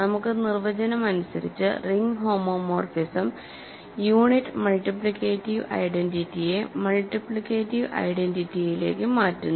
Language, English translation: Malayalam, For us ring homomorphism by definition sends the unit multiplicative identity to the multiplicative identity